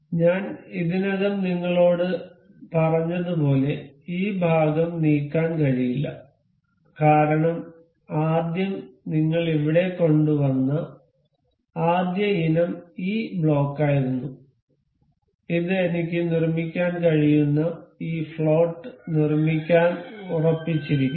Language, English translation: Malayalam, As we have, as I have already told you this part cannot be moved because on the first, the first item that I brought here was this block and this is fixed to make this float I can make this float